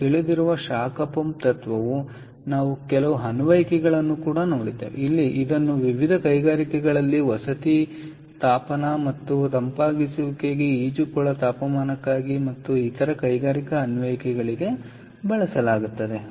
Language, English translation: Kannada, right where the heat pump principle, which is known to us, we saw few applications where it is used in various industries for residential heating and cooling ah and and for various for swimming pool heating and also for other industrial applications